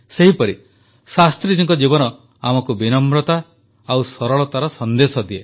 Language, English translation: Odia, Likewise, Shastriji's life imparts to us the message of humility and simplicity